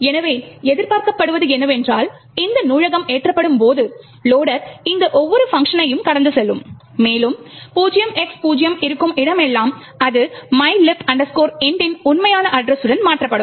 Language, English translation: Tamil, So what is expected is that when this library gets loaded, the loader would pass through each of this functions and wherever there is 0X0 it would replace that with the actual address of mylib int